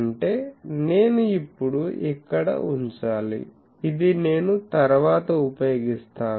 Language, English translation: Telugu, That means, I will have to now I put it here, this I will use later